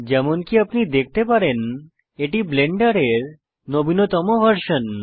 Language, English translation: Bengali, As you can see, this is the latest stable version of Blender